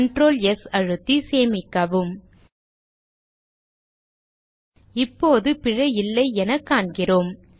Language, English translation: Tamil, Save it with Ctrl, S We see that now there is no error